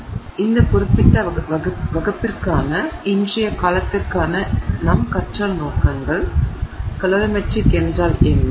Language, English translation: Tamil, So, our learning objectives for today's, for this particular class, what is calori metric